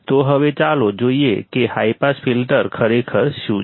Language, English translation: Gujarati, So, now, let us see what exactly a high pass filter is